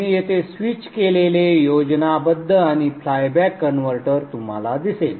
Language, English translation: Marathi, You have the switch here with the flyback converter